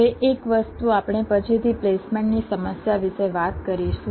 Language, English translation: Gujarati, ok, fine, now one thing: we shall be talking about the placement problem later